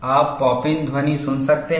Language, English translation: Hindi, You can hear the pop in sound